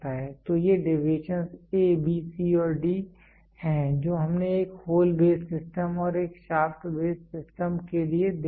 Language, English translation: Hindi, So, these deviations are the A, B, C, D which we saw for a hole base system and for a shaft base system